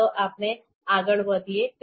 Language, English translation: Gujarati, So let’s start